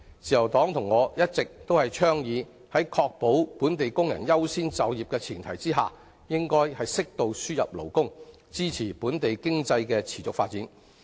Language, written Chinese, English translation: Cantonese, 自由黨和我一直倡議，在確保本地工人優先就業的前提下，應適度輸入勞工，以支持本地經濟的持續發展。, The Liberal Party and I have been calling for importing labour on an appropriate scale to sustain the development of the local economy on the premise that local workers priority for employment will be safeguarded